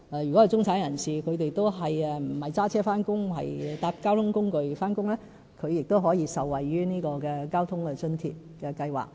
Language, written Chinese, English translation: Cantonese, 如果中產人士不是駕車返工，而是乘搭公共交通工具上班，他們亦可受惠於交通費津貼計劃。, If any middle - class people commute to work by public transport rather than driving they can likewise benefit from the Public Transport Fare Subsidy Scheme